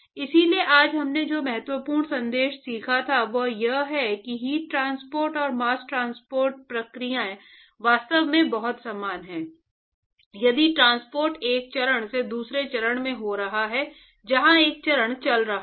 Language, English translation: Hindi, So, important message that we have learned today is that the heat transport and the mass transport processes are actually very similar if the transport is occurring across from one phase to another phase where one of the phases is moving, right